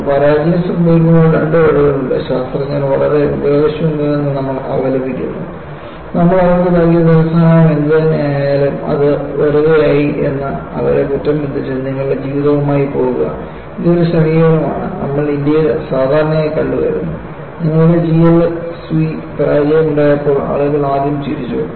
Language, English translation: Malayalam, See, there are two ways when a failure happens, you just condemn the scientists are so useless; whatever the funding we give to them, goes down the drain and condemn them and go with your life; this is one approach, which we commonly if come across in India, because you know, when you have GLSV failure, people only first laugh, they do not look at, there are genuine problems, when you are dealing with modern technology